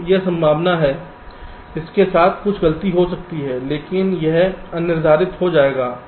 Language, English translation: Hindi, so this is the probability with which some fault may occur, but it will go undetected